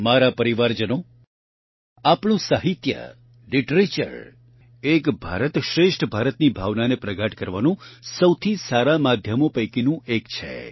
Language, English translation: Gujarati, My family members, our literature is one of the best mediums to deepen the sentiment of the spirit of Ek Bharat Shreshtha Bharat